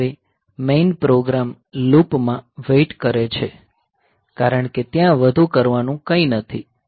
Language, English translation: Gujarati, And now the main program can wait in a loop because there is nothing more to do